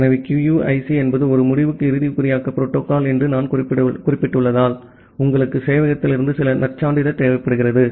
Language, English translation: Tamil, So, as I have mentioned that QUIC is an end to end encryption protocol because of that you require certain credential from the server